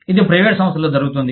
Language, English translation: Telugu, It happens, you know, in private organizations